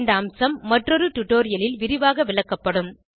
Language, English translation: Tamil, This feature will be explained in detail in another tutorial